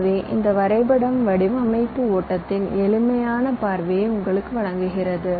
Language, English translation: Tamil, ok, so this diagram gives you a simplistic view of design flow